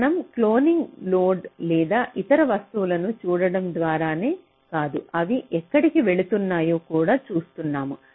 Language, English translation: Telugu, we are doing cloning not just by looking at the loads or other things, and also we are looking where they are going